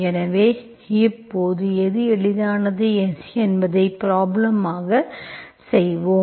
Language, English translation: Tamil, So as and when, whichever is easier we will do in the problems